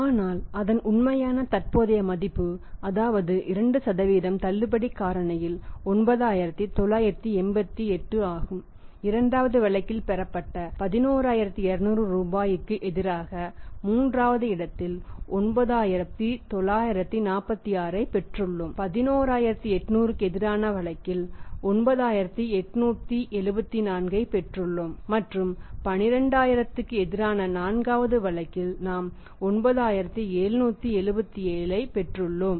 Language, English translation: Tamil, But the value the real value present value of that is at discount factor of 2% is 9988, in thea second case against the 11200 rupees received we have actually received 9946 in the third case against 11800 receive 9874 and in fourth case against 12000 we have received 9777